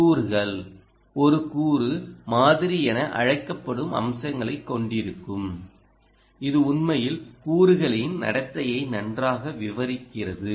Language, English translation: Tamil, ah component that you use will have what is known as a component model very actually describing the components behavior captured